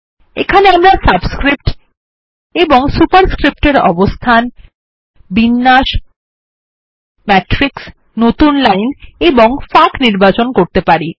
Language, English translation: Bengali, Here, we can choose placements of subscripts and superscripts, alignments, matrix, new lines and gaps